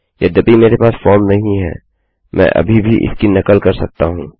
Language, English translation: Hindi, Even though I dont have a form , I can still mimic this